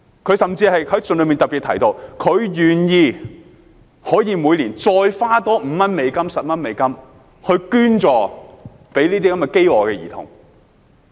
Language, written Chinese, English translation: Cantonese, "他甚至在信中特別提到，願意每年再多花5美元、10美元捐助飢餓兒童。, He even mentioned in his letter that he was willing to donate an extra US5 or US10 a year to help the starving children